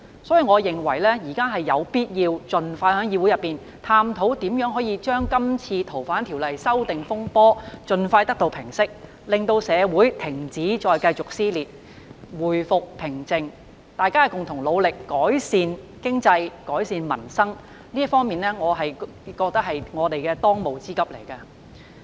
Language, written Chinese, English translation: Cantonese, 所以，我認為現在有必要盡快在議會內探討如何平息這次修訂《逃犯條例》的風波，令社會停止撕裂，回復平靜，大家共同努力改善經濟及民生，我認為這是我們的當務之急。, Therefore I consider it necessary for the Council to hold a discussion expeditiously on how to settle the turmoil arising from the amendments to the Fugitive Offenders Ordinance FOO so that the social dissension will cease and society restores to normal and that we can work together to improve the economy and peoples livelihood . I think this is our first and foremost task